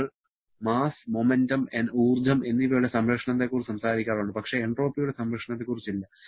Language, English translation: Malayalam, We talk about conservation of mass, momentum, energy but not conservation of entropy